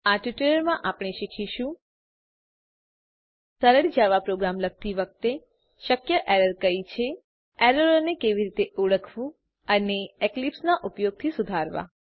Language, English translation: Gujarati, In this tutorial,we are going to learn what are the possible error while writing a simple Java Program, how to identify those errors and rectify them using eclipse